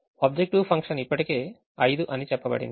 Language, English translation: Telugu, the objective function is already said to be five